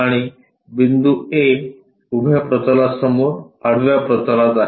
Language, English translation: Marathi, And, the point A is on horizontal plane in front of vertical plane